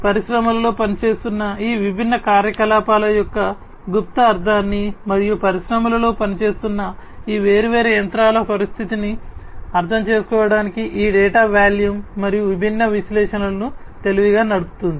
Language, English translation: Telugu, This volume of data and running different analytics intelligently to decipher the latent meaning of these different activities that are being carried on and the condition of these different machines that are going on, that are operating in the industry this can this is possible now